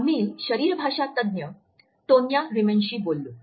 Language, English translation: Marathi, We spoke to the body language expert Tonya Reiman